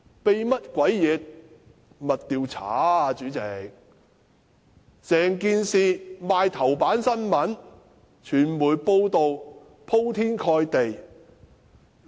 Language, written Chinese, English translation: Cantonese, 代理主席，整件事刊登在報章頭版，傳媒的報道鋪天蓋地。, Deputy President the whole incident had been reported on the front page of newspapers and extensively reported by the media